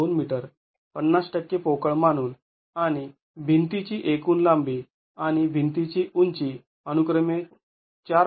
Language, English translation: Marathi, 2 meters, 50% considered to be hollow and the total length of the wall and height of the wall 4